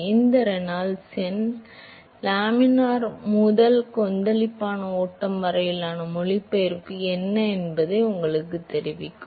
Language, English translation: Tamil, So, this Reynolds number will tell you what is the translation from laminar to turbulent flow